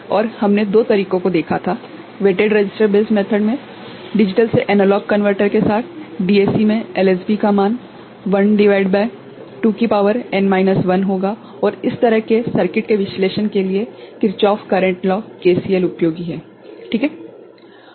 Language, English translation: Hindi, And we had seen two methods in weighted resistor based method, with digital to analog converter, DAC has LSB weight of 1 upon 2 to the power n minus 1 and for analyzing such circuit Kirchhoff's current law, KCL is useful ok